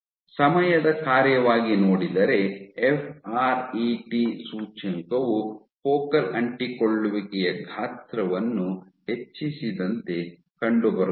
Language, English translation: Kannada, So, found as a function of time if the fret index increased the focal adhesion size also grew